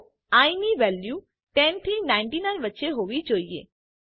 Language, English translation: Gujarati, So, i should have values from 10 to 99